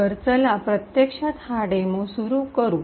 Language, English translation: Marathi, So, lets, actually start this demo